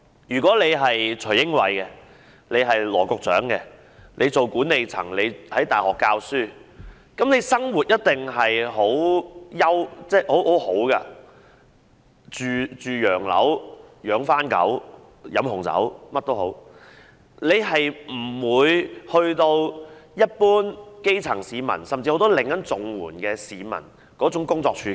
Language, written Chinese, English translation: Cantonese, 若是徐英偉、羅局長那樣的管理人員或是在大學任教的人，生活一定十分優越，"住洋樓、養番狗、飲紅酒"，無論如何也不會面對一般基層市民、甚至很多正在領取綜援的市民那樣的工作處境。, Management personnel such as Mr Casper TSUI and Secretary Dr LAW or people teaching at universities definitely lead a very prestigious life living in luxurious homes keeping pets and savouring red wine . At any rate they will not face the work situations faced by the general grass roots and even people currently receiving CSSA